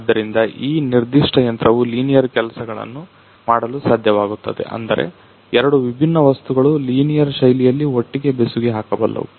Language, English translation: Kannada, So, this particular machine is able to do linear jobs; that means, that two different materials it can weld together in a linear fashion